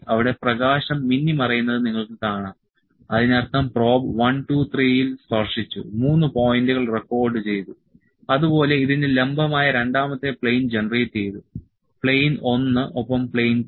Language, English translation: Malayalam, You can see the light blinking there is blinking that is the probe has touched 1, 2, 3; 3 points are recorded and the second plane which is perpendicular to this one is generated plane, 1 and plane 2